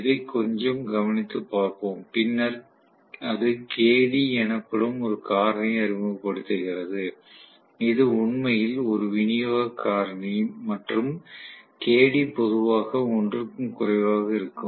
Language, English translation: Tamil, Let us try to take a little bit of look into that and then that introduces a factor called Kd which is actually a distribution factor and Kd is generally less than 1